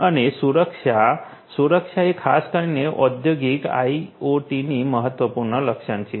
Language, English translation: Gujarati, And safety; safety particularly is a important characteristics of the industrial IoT